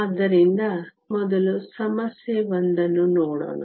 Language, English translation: Kannada, So, let us first look at problem one